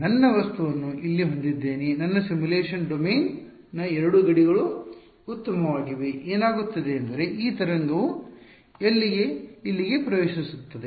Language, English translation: Kannada, I have my object over here these are the 2 boundaries of my simulation domain fine what is happening is that this wave is entering inside over here